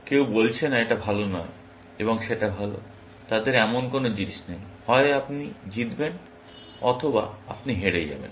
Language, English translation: Bengali, Somebody saying, no, this is not good and that is good; they have no such things; either, you win or you lose, essentially